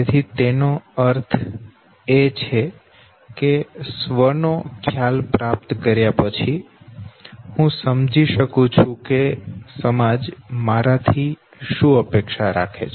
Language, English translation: Gujarati, So that would mean that after acquiring the concept of the self, I also understand what my society expects out of me